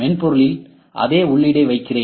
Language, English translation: Tamil, So, I am putting the same a input in the software